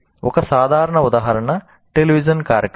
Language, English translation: Telugu, Typical example is a television program